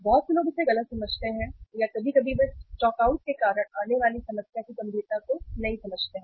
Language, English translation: Hindi, Many people misunderstand it or sometime they do not understand the gravity of the problem which comes up because of the stockouts